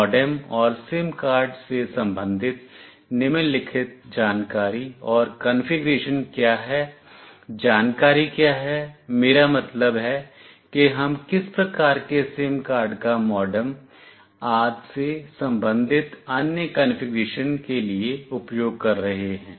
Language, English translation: Hindi, What are the following information, information and configuration pertaining to MODEM and SIM card what is the information, I mean what kind of SIM card we are using about other configuration regarding the MODEM etc